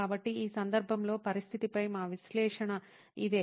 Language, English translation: Telugu, So, in this case this is what our analysis of the situation was